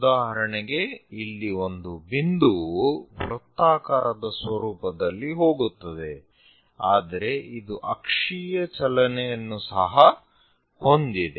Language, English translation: Kannada, So, for example, here a point which goes in a circular format, but it has axial motion also, so that it rises upward direction and so on